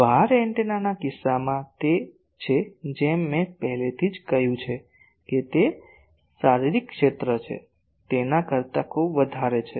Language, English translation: Gujarati, In case of wire antenna, it is as I already said that it is very much greater than, it is physical area